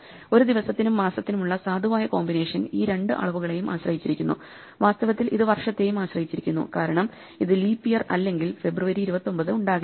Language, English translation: Malayalam, The valid combination for a day and month depends on both these quantities and in fact it depends on the year also because we cannot have 29th of February unless it is a leap year